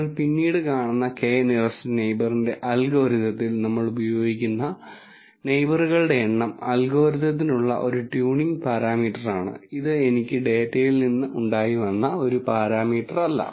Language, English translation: Malayalam, The number of neighbors that we use in the k nearest neighbor algorithm that you will see later, is actually a tuning parameter for the algorithm, that is not a parameter that I have derived from the data